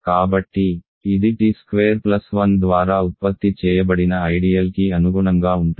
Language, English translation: Telugu, So, this corresponds to the ideal generated by t squared plus 1